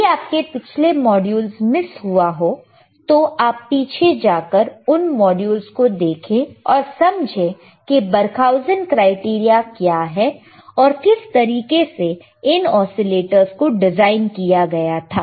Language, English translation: Hindi, iIf you have missed the earlier modules, go back and see earlier modules and see how what are the bBarkhausen criteria is and how the oscillators were designed